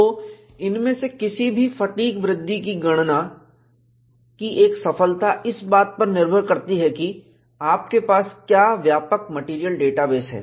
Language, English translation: Hindi, So, one of the success of any of these fatigue growth calculation, depends on what broader material data base that you have